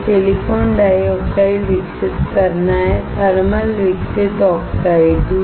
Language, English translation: Hindi, This is to grow silicon dioxide; thermal grown oxide